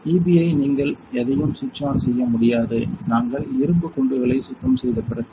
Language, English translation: Tamil, So, this EB you cannot any switch on; after we do the iron bombardment cleaning right